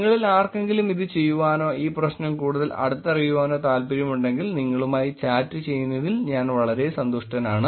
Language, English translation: Malayalam, If any of you are interested in doing it, if any of you are interested in looking at this problem more closely I will be happy to actually chat with you